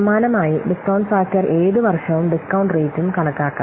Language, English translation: Malayalam, So, similarly, the discount factor can be computed for any given year on discount rate